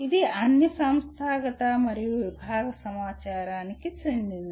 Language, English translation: Telugu, It is all institutional and departmental information